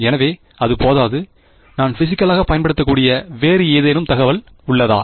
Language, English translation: Tamil, So, that is not sufficient; is there any other information that I can use physically